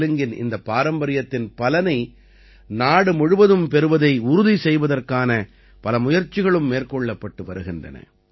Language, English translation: Tamil, Many efforts are also being made to ensure that the whole country gets the benefit of this heritage of Telugu